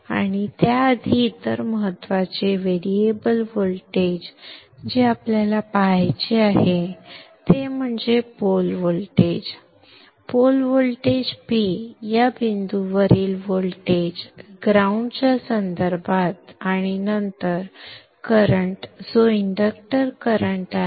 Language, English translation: Marathi, And before that, the other important variable voltage that we need to see is the pole voltage, the voltage at this point with respect to the ground and then the currents that is the inductor current